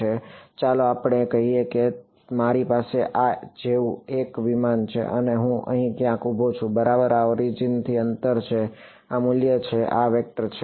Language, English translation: Gujarati, So, let us say that I have a aircraft like this alright and I am standing somewhere far over here r right, this is the distance r from the origin this is the value r this is the vector r hat